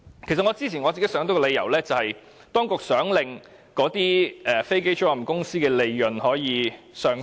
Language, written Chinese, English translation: Cantonese, 其實，我之前曾經想到一個理由，就是當局想令飛機租賃公司的利潤上升。, Actually I previously thought that the reason might be the Governments intention of boosting the profits of aircraft leasing companies